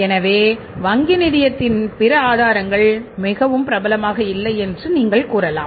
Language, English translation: Tamil, So, you can say that other sources then the bank finance are not very popular